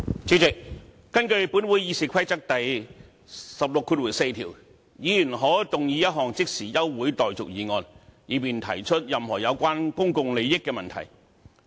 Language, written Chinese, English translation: Cantonese, 主席，根據本會《議事規則》第164條，"議員可動議一項立法會現即休會待續的議案，以便提出任何有關公共利益的問題"。, President in accordance with Rule 164 of the Rules of Procedure of this Council a Member may move that this Council do now adjourn for the purpose of raising any issue concerning public interest